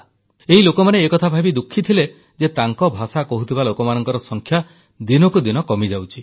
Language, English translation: Odia, They are quite saddened by the fact that the number of people who speak this language is rapidly dwindling